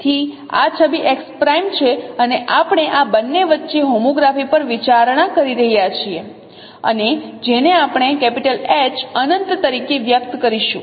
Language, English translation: Gujarati, So this image is x prime and we are considering homography between this two and which we will be expressing as H infinity